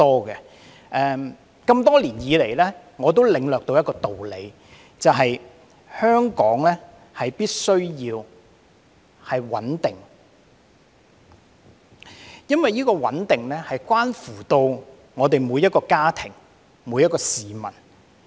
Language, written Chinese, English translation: Cantonese, 這麼多年以來，我領略的一個道理是，香港必須穩定，因為穩定關乎每個家庭、每名市民。, Over the years I have come to appreciate the truth that we must have stability in Hong Kong because stability concerns every family and every member of the public